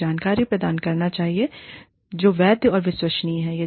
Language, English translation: Hindi, It should provide information, that is valid and credible